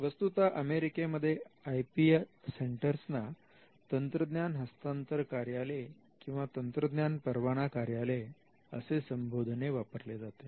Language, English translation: Marathi, In fact, in the United States the IP centers are called technology transfer offices or technology licensing offices